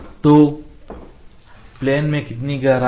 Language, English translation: Hindi, So, how much is the depth from the planes